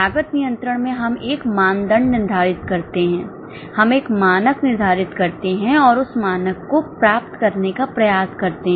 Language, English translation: Hindi, In cost control, we set a benchmark, we set a standard and try to achieve that standard